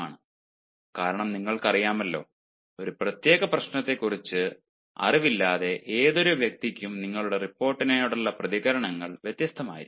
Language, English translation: Malayalam, because you know, any person who is unaware of a particular problem, his reactions to your report may be different